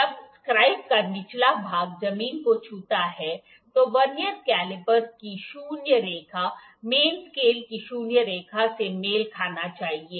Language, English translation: Hindi, When the bottom of the scribe touches the ground the zero line of the Vernier caliper should coincide with the zero line of the main scale